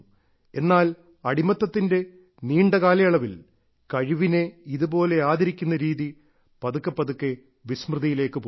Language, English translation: Malayalam, But during the long period of slavery and subjugation, the feeling that gave such respect to skill gradually faded into oblivion